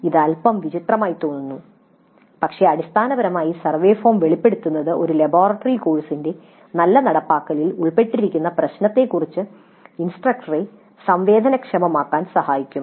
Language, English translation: Malayalam, Now it looks a little bit peculiar but basically the exposure to the survey form would help sensitize the instructor to the issues that are involved in good implementation of a laboratory course